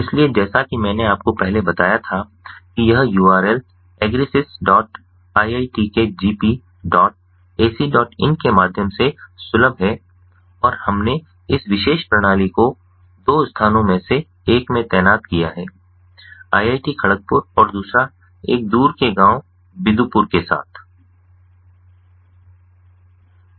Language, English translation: Hindi, so, as i mentioned to you earlier, it is accessible through the url agrisys dot iit, kgp, dot, ac, dot in, and we have deployed this particular system in two locations, one in iit kharagpur and the other one in a distant village close to binapur